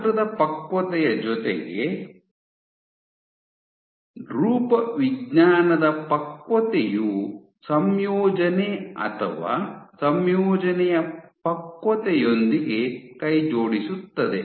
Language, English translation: Kannada, So, along with the size maturation, you have morphological maturation, go hand in hand with composition or compositional maturation